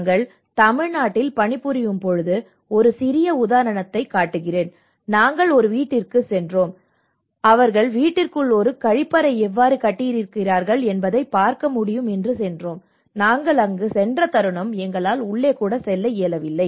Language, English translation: Tamil, So, in fact, we have many technical inputs you know I will show you a small example when we were working in Tamil Nadu, we went to a house and we could able to see that we have built a toilet inside the house and the moment we went we were unable to get even inside the house